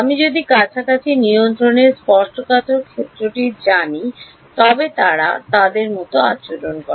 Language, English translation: Bengali, If I know the tangential field on a close control they act like